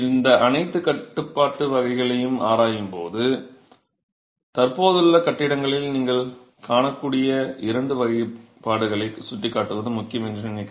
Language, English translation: Tamil, While examining all these typologies, I think it is important to point out two typologies that you will come across in existing buildings